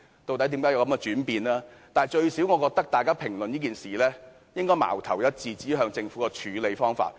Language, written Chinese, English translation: Cantonese, 但是，無論如何，我覺得大家評論這件事應矛頭一致，指向政府的處理方法。, In any case however I think we should direct our discussion on this issue at the Governments handling of the issue